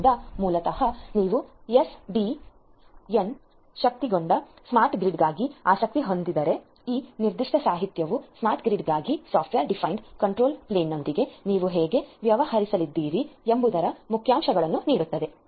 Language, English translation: Kannada, So, basically this particular literature in case you are interested for SDN enabled you know smart grid this particular literature will give you the highlights of how you are going to deal with the software defined control plane for the smart grid